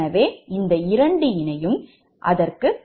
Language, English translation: Tamil, so this one will be zero, right